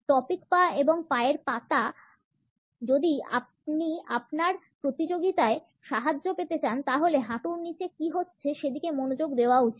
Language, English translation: Bengali, Topic legs and feet, if you want to leg up on your competition pay attention to what is going on below the knees